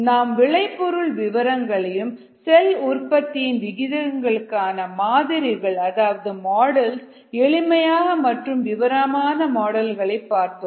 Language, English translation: Tamil, we looked at ah, the details of these products, and then the models for the rate of cell formation, simple models, as well as some ah detail models